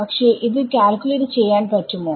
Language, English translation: Malayalam, I do not know it, but can I calculate it